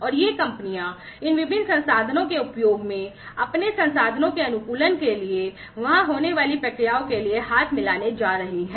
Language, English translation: Hindi, And these companies are going to join hands for optimizing their resources, and the processes that are there, in the use of these different resources